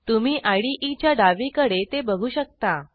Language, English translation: Marathi, You can see it here on the left hand side of the IDE